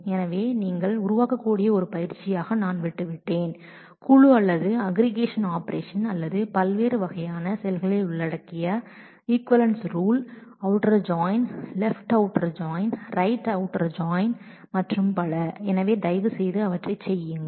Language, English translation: Tamil, So, as an exercise I have left that you can create equivalence rules that involve group by or aggregation operations or different kinds of outer join, left outer join, right outer join and so, on so, please work those out